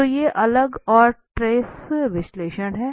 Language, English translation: Hindi, So these are different and trace analysis